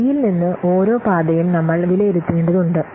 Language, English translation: Malayalam, From decision point D, we have to evaluate the, we have to assess each path